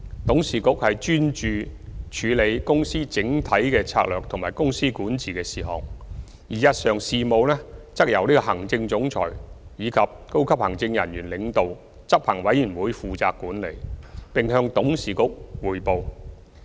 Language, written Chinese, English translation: Cantonese, 董事局專注處理公司整體策略及公司管治的事項，而日常事務則由行政總裁及由高級行政人員領導的執行委員會負責管理，並向董事局匯報。, The Board focuses on handling matters related to MTRCLs overall strategic policies and corporate governance while the day - to - day management of MTRCLs business is delegated to the Executive Committee led by the Chief Executive Officer and senior executives who report to the Board